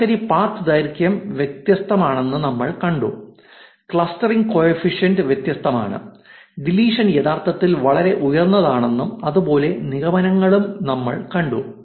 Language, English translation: Malayalam, We saw that the average path length is different, clustering coefficient is different, we saw that the deletion is actually pretty high and inferences like that